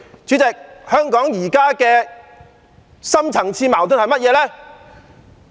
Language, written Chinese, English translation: Cantonese, 主席，香港現在的深層次矛盾是甚麼？, President what are the deep - seated conflicts plaguing Hong Kong now?